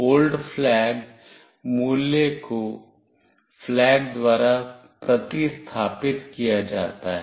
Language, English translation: Hindi, The old flag value is replaced by flag